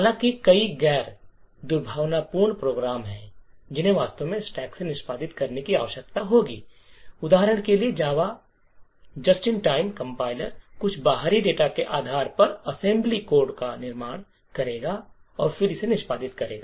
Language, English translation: Hindi, However, there are several non malicious programs which actually would need to execute from the stack for example the JAVA just in time compiler would construct assembly code based on some external data and then execute it